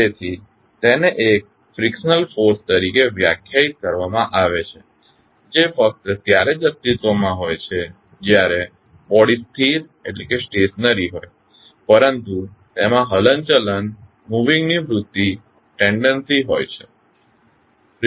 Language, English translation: Gujarati, So, it is defined as a frictional force that exist only when the body is stationary but has a tendency of moving